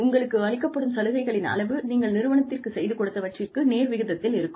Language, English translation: Tamil, If the amount of benefits, that is given to you, is proportionate to, what you do for the company